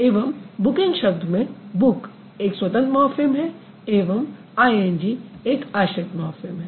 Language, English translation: Hindi, And in the word like booking, book is a free morphem and ING is the or ing is the bound morphine